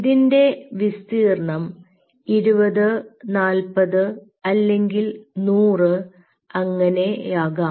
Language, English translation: Malayalam, imagine maybe you could have a area of twenty, forty hundred like that